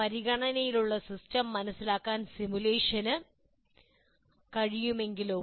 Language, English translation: Malayalam, I can, what if simulation can be done to understand the system under consideration